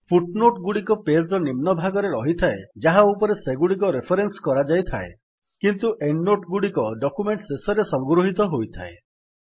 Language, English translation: Odia, Footnotes appear at the bottom of the page on which they are referenced whereas Endnotes are collected at the end of a document